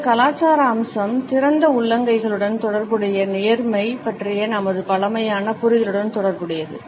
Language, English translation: Tamil, And this cultural aspect has come to be associated with our archetypal understanding of honesty being associated with open palms